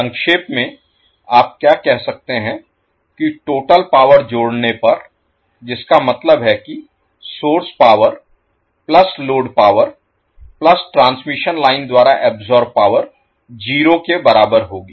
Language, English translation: Hindi, So in a nutshell, what you can say that sum of the total power that is source power plus load power plus power absorbed by the transmission line will be equal to 0